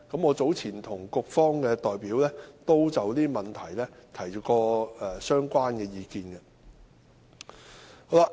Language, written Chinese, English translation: Cantonese, 我早前已就這些問題向局方的代表提出相關意見。, I have advanced my views on these issues to the representatives of the Bureau earlier